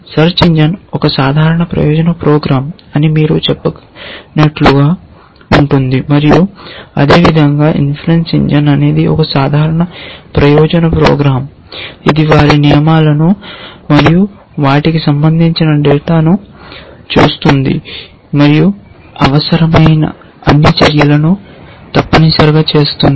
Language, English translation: Telugu, It is like you can say a search engine is a general purpose program and in similar manner inference engine is a general purpose program which looks at their rules and their corresponding data and makes all the actions which are necessary to be done essentially